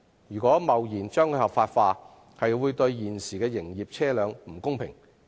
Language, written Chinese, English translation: Cantonese, 若貿然把共乘模式合法化，會對現時的營業車輛不公平。, The precipitate legalization of the transport mode of car - sharing will be unfair to the existing commercial vehicles